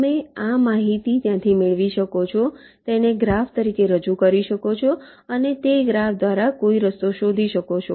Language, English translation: Gujarati, you can get this information from there, represent it as a graph and find some path through that graph